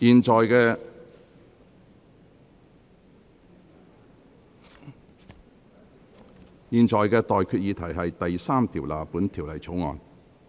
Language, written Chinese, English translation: Cantonese, 我現在向各位提出的待決議題是：第3條納入本條例草案。, I now put the question to you and that is That clause 3 stand part of the Bill